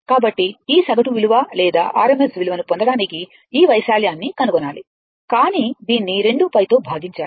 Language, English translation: Telugu, So, you have to find out this area to get this average value or rms value, but you have to divide it by 2 pi you have to divide this by 2 pi